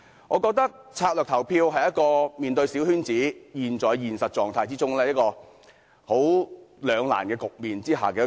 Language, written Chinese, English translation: Cantonese, 我覺得，策略性投票是面對小圈子選舉這種兩難局面的出路。, In my opinion strategic voting is a way out in the face of this dilemma of a coterie election